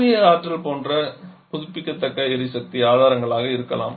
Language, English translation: Tamil, Something or maybe just renewable energy sources like solar energy